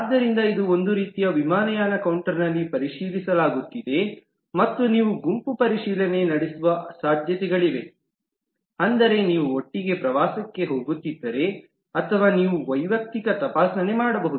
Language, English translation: Kannada, So this is kind of checking in at an airlines counter and the possibilities are it could be a group checking, that is, if you are going on a tour together, or you can do an individual checking